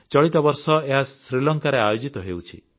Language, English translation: Odia, This year it will take place in Sri Lanka